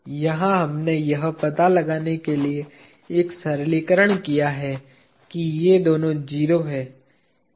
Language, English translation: Hindi, Here we have made a simplification to find out that these two are 0